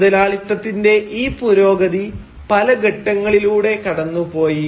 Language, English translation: Malayalam, And this progress towards capitalism, and this progress of capitalism has passed through various phases